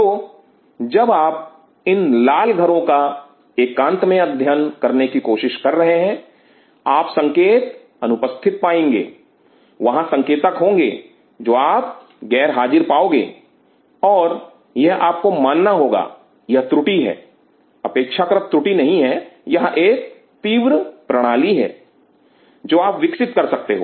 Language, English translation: Hindi, So, when you are trying to study these red houses in isolation, you will be missing there will be signals which you are missing and you have to accept, this error it is not an error rather it is an acute system you are growing